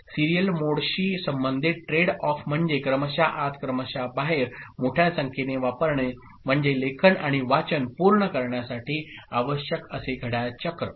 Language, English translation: Marathi, The trade off associated with serial mode is, I mean using serial in serial out is larger number of like clock cycles required to complete write and read operation ok